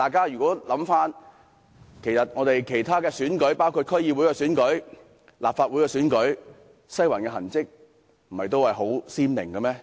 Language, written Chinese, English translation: Cantonese, 然而，在其他選舉，包括區議會和立法會選舉中，"西環"的痕跡不也十分明顯嗎？, However have the traces of Western District also been very obvious in other elections including the elections of the District Councils and the Legislative Council?